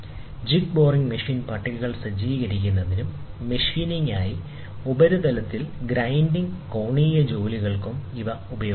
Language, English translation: Malayalam, They are also used to set inclinable tables of jig boring machine, and angular jobs on surface grinding for machining